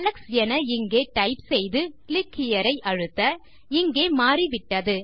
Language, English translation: Tamil, Let me type the name Alex and click here.You can see this is changed here